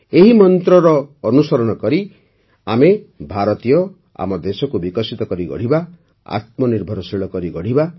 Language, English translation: Odia, Adhering to this mantra, we Indians will make our country developed and selfreliant